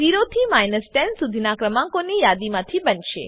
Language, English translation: Gujarati, The output will consist of a list of numbers 0 through 10